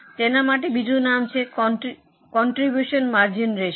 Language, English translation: Gujarati, There is another name for it also that is known as contribution margin ratio